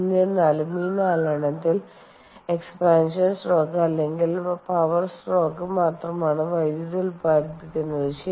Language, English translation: Malayalam, however, out of these four, it is only the expansion or the power stroke that generates power